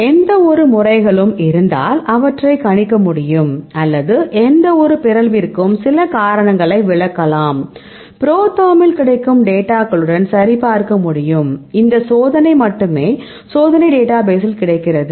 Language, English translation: Tamil, Then any methods so, worked out they can predict, or they can finally, explain some reasons for any mutations, we can verify with the datas available in the ProTherm or not, this experiment only available experimental database